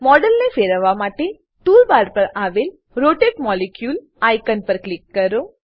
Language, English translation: Gujarati, To rotate the model, click on the Rotate molecule icon on the tool bar